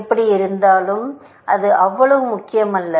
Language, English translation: Tamil, Anyway, that is not so important